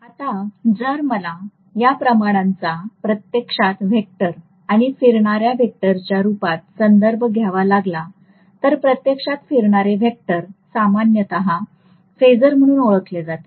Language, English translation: Marathi, Now, if I have to actually refer to this quantity in the form of a vector or rotating vector, actually rotating vector is generally known as phasor